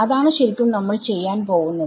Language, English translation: Malayalam, Yeah I mean that is exactly what we are going to do